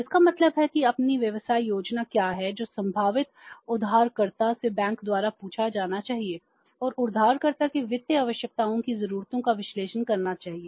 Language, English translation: Hindi, So, it means what is their business plan that should be asked by the bank from the potential borrower and made the make the analysis of the needs of the financial needs of the borrower